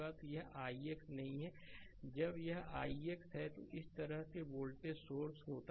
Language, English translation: Hindi, So, it is not i x now it is i x dash similarly when voltage source is there right